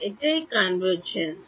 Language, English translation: Bengali, That is what is convergence